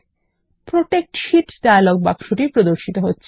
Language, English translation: Bengali, The Protect Sheet dialog box appears